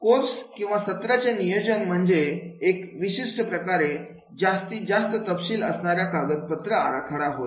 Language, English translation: Marathi, Courses or lesson plans are typically more detailed than the design document